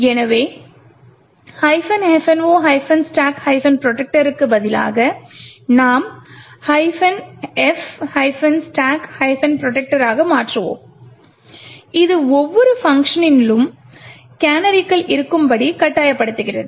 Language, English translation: Tamil, So instead of minus F no stack protector we would change this to minus F stack protector which forces that canaries be present in every function